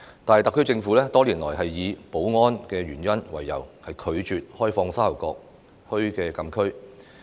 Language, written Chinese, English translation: Cantonese, 但是，特區政府多年來以保安原因為由，拒絕開放沙頭角墟禁區。, However for security reasons the SAR Government has declined the opening up of the closed area of Sha Tau Kok Town for many years